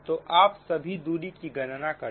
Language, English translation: Hindi, so first you calculate all the distances right